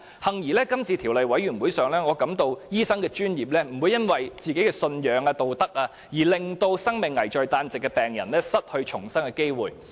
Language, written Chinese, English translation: Cantonese, 幸而，在今次法案委員會的審議工作中，我感到醫生的專業並不會因為信仰或道德規條，而令生命危在旦夕的病人失去重生的機會。, Fortunately as I observed from the scrutiny work of the Bills Committee this time around the medical profession will not be driven by any religious and moral dogmas to deprive ailing patients of their chances of recovery and beginning a new life